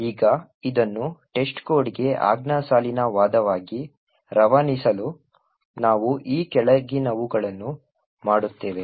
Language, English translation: Kannada, Now in order to pass this as the command line argument to test code we do the following we run test code as follows